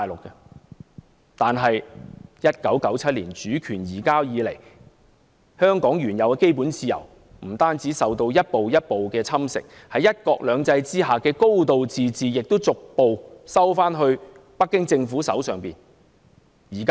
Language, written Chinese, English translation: Cantonese, 不過，自1997年主權移交以來，香港原有的基本自由，不單受到一步一步的侵蝕，在"一國兩制"下的"高度自治"亦逐步收緊，掌握在北京政府的手上。, However ever since the 1997 handover not only have the fundamental freedoms of Hong Kong been gradually eroded the high degree of autonomy promised under one country two systems is also being gradually encroached by Beijing